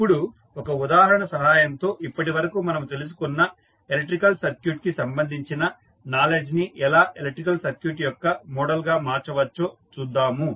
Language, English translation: Telugu, Now, let us take one example and we will see how the knowledge which we have just gathered related to electrical circuit how we can transform it into the model of the electrical circuit